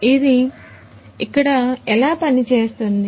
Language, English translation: Telugu, So, how is it working over here